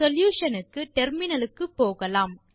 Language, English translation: Tamil, Switch to your terminal for solution